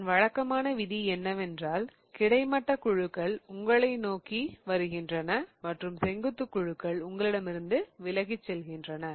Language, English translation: Tamil, The typical rule is such that the horizontal groups are coming towards you and the vertical groups are pointed away from you